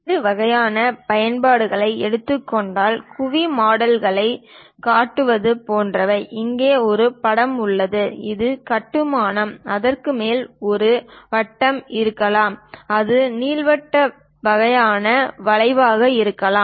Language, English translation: Tamil, The variety of applications, for example, like building domes; here there is a picture, a construction, top of that it might be circle, it might be elliptical kind of curve